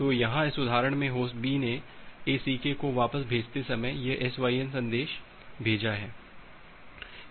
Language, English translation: Hindi, So, here in this example Host B sends this SYN message while sending back the ACK